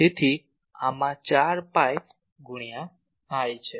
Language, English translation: Gujarati, So, 4 pi into this